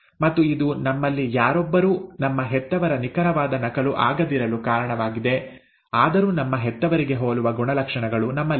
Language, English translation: Kannada, And that is the reason why none of us are an exact copy of our parents, though we have characters which are similar to our parents